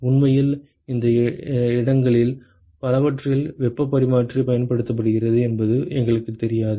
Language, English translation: Tamil, In fact, we do not know that heat exchanger is used in several of these places